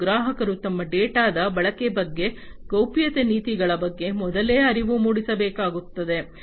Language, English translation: Kannada, And the customers will have to be made aware beforehand about the usage of their data and the privacy policies